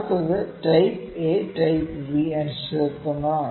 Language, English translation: Malayalam, Next is Type A and Type B uncertainties